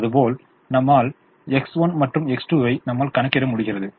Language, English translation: Tamil, let's assume that i am solving for x one and x two